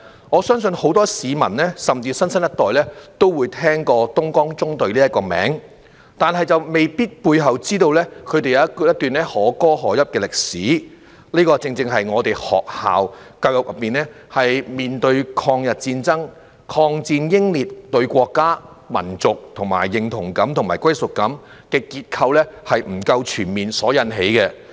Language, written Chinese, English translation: Cantonese, 我相信很多市民，甚至新生一代都會聽過"東江縱隊"這個名字，但未必知道背後他們一段可歌可泣的歷史，這正正是學校教育中，對抗日戰爭、抗戰英烈，以及對國家、民族的認同感與歸屬感的結構不夠全面所致。, I believe that many people and even the new generation have heard of the name Dongjiang Column but they may not be aware that behind it there is a deeply moving episode in history . This is precisely because of the incomprehensive structure of school education on the War of Resistance against Japanese Aggression the war martyrs as well as the sense of national and ethnic identity and belonging